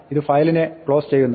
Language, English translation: Malayalam, This closes of the file